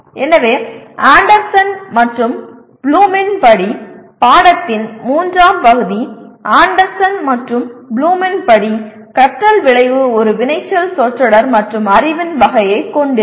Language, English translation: Tamil, So the third part of the course outcome as per Anderson and Bloom, learning outcome as per Anderson and Bloom will have a verb phrase and the type of knowledge